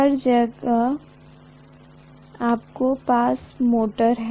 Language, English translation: Hindi, Everywhere you have motors